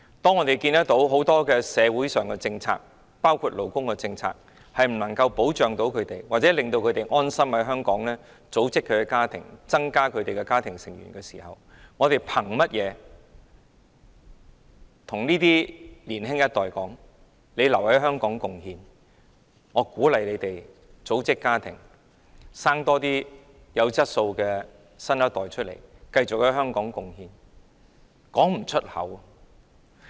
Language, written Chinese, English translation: Cantonese, 當我們看到社會上很多政策，包括勞工政策不能夠保障他們，不能令他們安心在香港組織家庭，增加家庭成員的時候，我們憑甚麼叫年輕一代留在香港貢獻，鼓勵他們組織家庭，增加生育，生產多些有質素的新一代，繼續在香港貢獻？, When we see that many policies including labour policies fail to protect workers and make them feel comfortable to build a family here for what reasons do we ask the young generation to stay and make their contribution to Hong Kong? . And how can we encourage them to form a family and have more children here so as to nurture a new generation of quality people who will stay to make their contribution to Hong Kong?